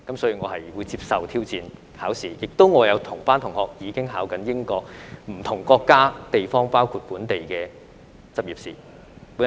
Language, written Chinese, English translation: Cantonese, 所以，我會接受考試的挑戰，我亦有同班同學正在考取英國或不同國家及地區，包括本地的執業試。, Therefore I will accept the challenge of exam . Some classmates of mine are taking the licensing exam of the UK or other countries and regions including the local licensing exam